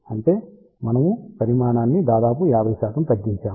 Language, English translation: Telugu, So; that means, we have reduce the size by almost 50 percent